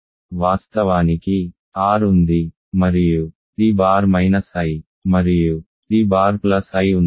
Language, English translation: Telugu, Of course, there is R and there is t bar minus i and t bar plus i